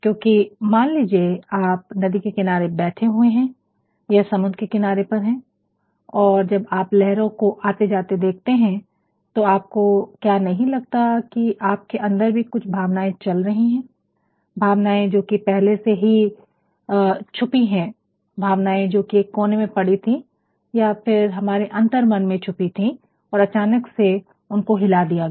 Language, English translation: Hindi, Because, suppose you are sitting by the side of a river or you are on a sea shore and when you look atthe waves coming up and down, do not you think that within you also goes certain feelings; feelings which are already hidden, feelings which lie at some corner or in your subconscious level and they are suddenly stirred